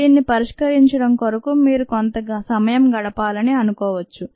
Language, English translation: Telugu, you might want to spend some time and solving this